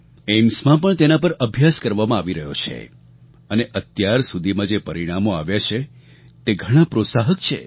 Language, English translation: Gujarati, These studies are being carried out in AIIMS too and the results that have emerged so far are very encouraging